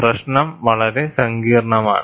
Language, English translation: Malayalam, The problem is very complex